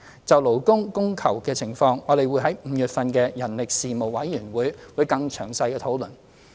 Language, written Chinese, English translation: Cantonese, 就勞工供求的情況，我們會在5月份的人力事務委員會會議更詳細地討論。, As for the demand and supply of labour we will have detailed discussions at the meeting of the Panel on Manpower to be held in May